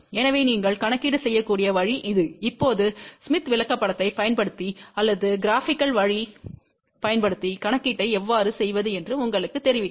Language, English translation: Tamil, So, this is the way you can do the calculation; now, will tell you, how to do the calculation using the smith chart or using the graphical way